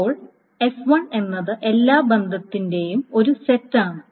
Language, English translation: Malayalam, S 1 is a set of all relations, some partition of S